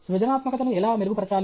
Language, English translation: Telugu, How to improve creativity